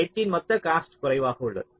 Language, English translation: Tamil, the total cost of the edges is less